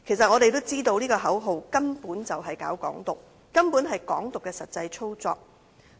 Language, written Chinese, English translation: Cantonese, 我們都知道這些口號根本是搞"港獨"，根本是"港獨"的實際操作。, We all know that these slogans actually serve to promote Hong Kong independence and are indeed the actual operation of Hong Kong independence